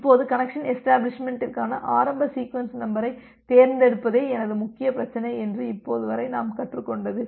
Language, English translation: Tamil, Now, what we have learned till now that my major problem is to select the initial sequence number for connection establishment